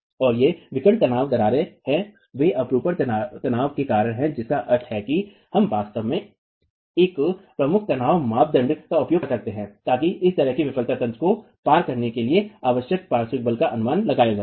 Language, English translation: Hindi, And these are diagonal tension cracks, they are due to shear tension, which means we can actually use a principal tension criterion to estimate the lateral force required to cost this sort of a failure mechanism